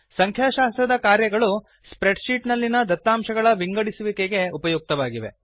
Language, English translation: Kannada, Statistical functions are useful for analysis of data in spreadsheets